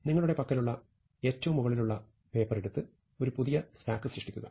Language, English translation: Malayalam, So, you take the top most paper in this stack that you have, and create a new stack with that